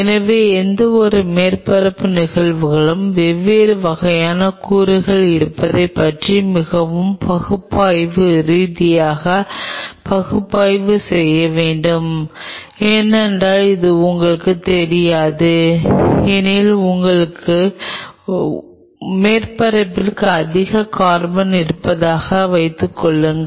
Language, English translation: Tamil, So, any surface phenomena need to be analyzed very analytically about the presence of different kind of elements which are there because, unless otherwise you know this say for example, thing of this suppose your surface has higher carbon